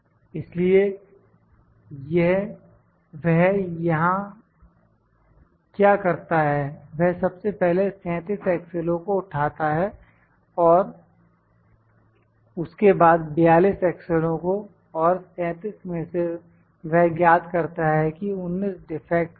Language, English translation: Hindi, He first picks 37 axles, then he picks 42 axles and out of 37 he finds that there are19 defects are there